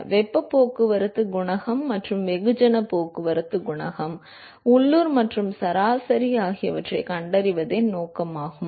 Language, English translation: Tamil, So, note the objective is to find the heat transport coefficient, and mass transport coefficient, local and the average